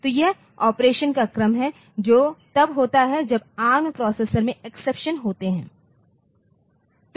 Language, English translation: Hindi, So, this is the sequence of operations that occur when we are having exceptions in the ARM processor